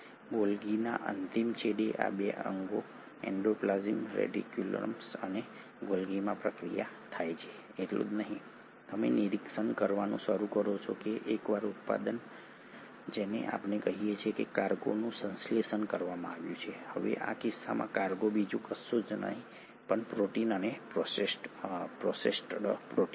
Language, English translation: Gujarati, Not only does the processing happen in these 2 organelles, the endoplasmic reticulum and the Golgi, at the terminal end of the Golgi you start observing that once a product, which is what we call as let us say a cargo has been synthesised, now in this case the cargo is nothing but the protein and a processed protein